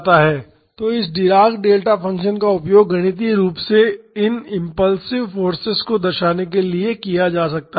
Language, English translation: Hindi, So, this dirac delta function can be used to mathematically represent this impulsive forces